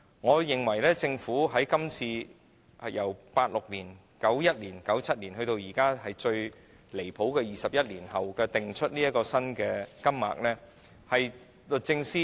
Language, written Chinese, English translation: Cantonese, 我認為，政府在1986年、1991年、1997年，及至最離譜的21年後的今天，才訂出新金額，是律政司......, In my view the reason for the Governments setting of a new amount in 1986 1991 1997 and most ridiculously today―after the passage of 21 years―is that the Secretary for Justice Well she slacks off again today and is not present at the meeting